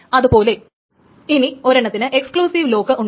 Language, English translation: Malayalam, The first one is called an exclusive lock